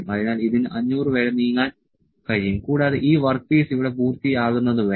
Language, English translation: Malayalam, So, it can be it can moving up to 500 and all unless this work piece come finishes here